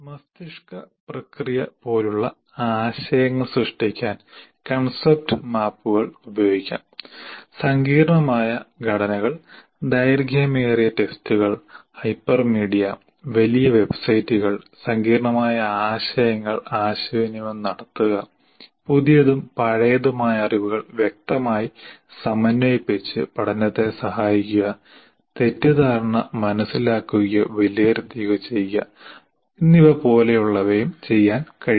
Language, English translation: Malayalam, Now, the concept maps can be used to generate ideas like for brainstorming, to design complex structures, long tests, hypermedia, large websites, to communicate complex ideas, to aid learning by explicitly integrating new and old knowledge and to assess understanding or diagnose misunderstanding